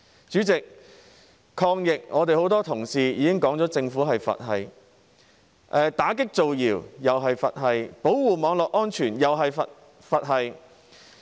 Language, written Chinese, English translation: Cantonese, 主席，很多同事已經提到，抗疫方面政府是"佛系"，打擊造謠又是"佛系"，保護網絡安全又是"佛系"。, President as indicated by many of my colleagues the Government is nonchalant not only in fighting the pandemic but also in combating rumours and protecting cyber security